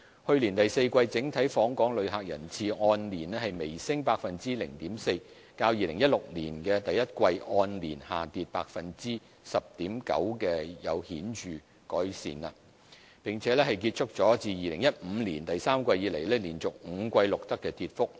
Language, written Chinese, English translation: Cantonese, 去年第四季整體訪港旅客人次按年微升 0.4%， 較2016年第一季按年下跌 10.9%， 情況有顯著改善，並結束了自2015年第三季以來連續5季錄得的跌幅。, In the fourth quarter of 2016 the total visitor arrivals to Hong Kong registered a slight increase of 0.4 % year - on - year which has improved notably from the fall of 10.9 % in the first quarter of 2016 and ended the continuous decline of five quarters since the third quarter of 2015